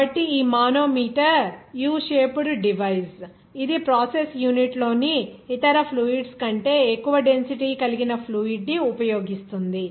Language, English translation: Telugu, So, this manometer is a U shaped device that uses a fluid having greater density than other fluids in the process unit